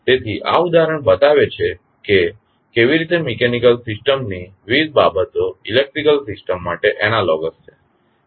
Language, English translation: Gujarati, So, this example shows that how the different quantities of mechanical system are analogous to the electrical system